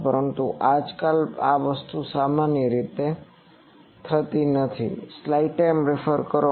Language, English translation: Gujarati, But nowadays this thing has gone generally